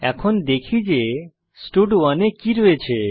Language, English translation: Bengali, Now, let us see what stud1 contains